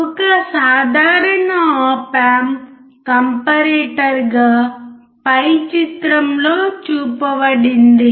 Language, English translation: Telugu, A typical op amp as comparator is shown in figure above